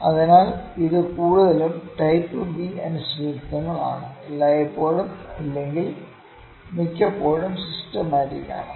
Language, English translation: Malayalam, So, this are mostly type B uncertainty are mostly systematic if not always